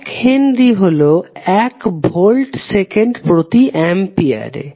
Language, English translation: Bengali, 1 Henry is nothing but L Volt second per Ampere